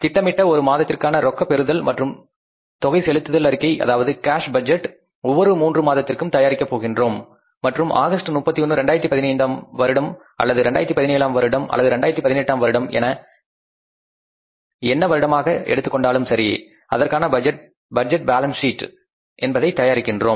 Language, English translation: Tamil, A budgeted statement of monthly cash receipts and disbursements, that means the cash budget for each of the next three months and a budgeted balance sheet for the 31st August 2005, 15 or 17 or 18 whatever you deem it